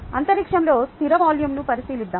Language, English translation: Telugu, let us consider a fixed volume in space